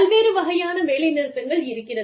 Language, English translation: Tamil, Various types of strikes